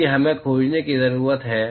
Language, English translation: Hindi, That is what we need to find